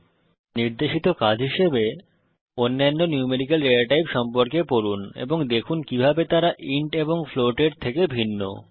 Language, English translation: Bengali, As an assignment for this tutorial, Read about other numerical data types and see how they are different from int and float